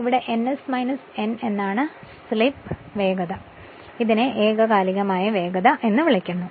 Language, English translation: Malayalam, This is ns minus n is called slip speed and this is your synchronous speed